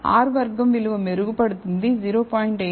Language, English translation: Telugu, So, the R squared value improves from 0